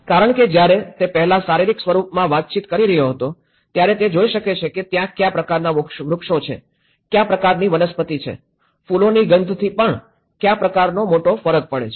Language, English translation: Gujarati, Because when he was interacting earlier in the physical form, he was able to see what kind of trees, what kind of flora, what kind of fauna even a smell of flower makes a big difference